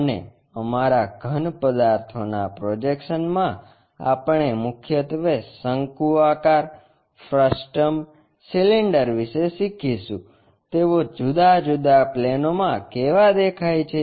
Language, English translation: Gujarati, And, in our projection of solids we will learn about mainly the cones frustums cylinders, how they really look like on different planes